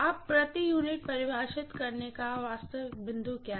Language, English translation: Hindi, Now what is the real point of defining per unit